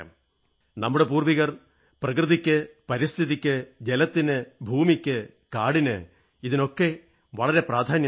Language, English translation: Malayalam, Our forefathers put a lot of emphasis on nature, on environment, on water, on land, on forests